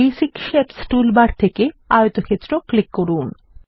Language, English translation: Bengali, From the Basic Shapes toolbar click on Rectangle